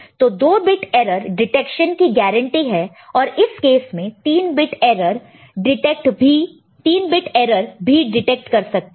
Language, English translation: Hindi, So, 2 bit error detection is guaranteed, 3 bit error in this case detected got detected, ok